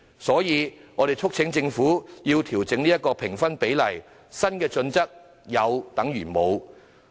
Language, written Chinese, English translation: Cantonese, 所以，我們促請政府調整評分比例，因為現行的新準則有等於無。, For this reason we urge the Government to adjust the weightings in the assessment because the existing new criteria are merely nominal